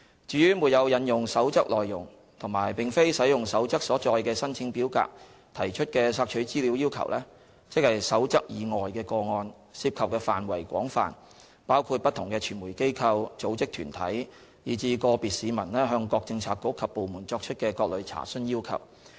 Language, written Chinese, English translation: Cantonese, 至於沒有引用《守則》內容及並非使用《守則》所載的申請表格提出的索取資料要求，即《守則》以外的個案，涉及範圍廣泛，包括不同的傳媒機構、組織團體以至個別市民向各政策局及部門作出的各類查詢要求。, As for requests for information made without invoking the content of the Code and without using the application form provided in the Code these requests not made under the Code cover a wide scope including requests and enquiries from different media organizations bodies and individual citizens to different bureaux and departments